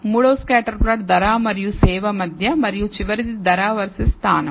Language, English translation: Telugu, The third one is the scatter plot between price and service and the last one is price versus location